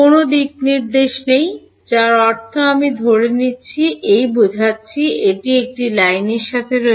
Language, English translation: Bengali, There is no direction I mean I am assuming E I mean it is along a line